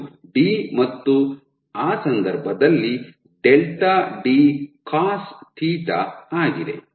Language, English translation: Kannada, So, this is my d in that case delta is nothing, but d cosθ